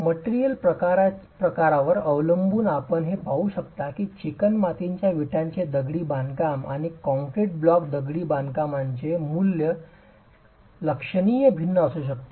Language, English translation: Marathi, You can see that the value for clay brick masonry and concrete block masonry can be significantly different